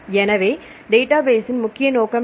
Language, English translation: Tamil, So, what is the main aim of a database